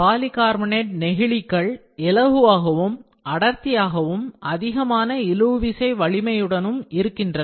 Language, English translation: Tamil, Polycarbonate plastics are light and dense and they possess excellent tensile strength